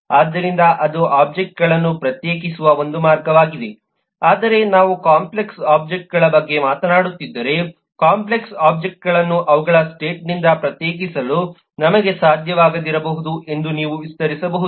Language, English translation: Kannada, so that’s, that’s one way of distinguishing objects, but you can just extend that if we are talking about complex objects, then we may not be possible to distinguish to complex objects by their state or by the value of re and im